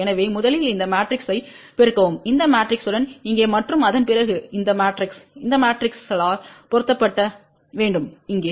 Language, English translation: Tamil, So, first you multiply this matrix with this matrix here and then after that this resultant matrix is to be multiplied by this matrix here